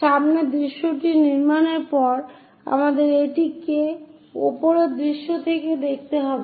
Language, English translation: Bengali, After constructing front view, we have to see it from top view